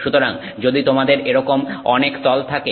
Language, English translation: Bengali, So, if you have many, many, many such planes